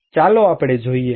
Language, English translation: Gujarati, Let us look